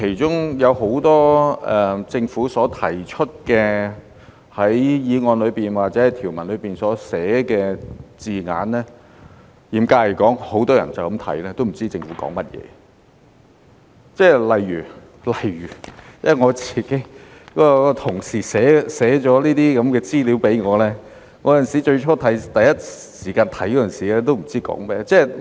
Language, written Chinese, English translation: Cantonese, 政府在法案條文內所寫的多個字眼，嚴格來說，很多人看到也不知政府說甚麼，例如我的同事寫了這些資料給我，我最初看的時候，也不知道是說甚麼。, As regards the many terms used by the Government in the provisions of the Bill strictly speaking a lot of people did not know what the Government was talking about when they came across these terms . For example my colleague wrote me this information and I had no idea what it was about when I first read it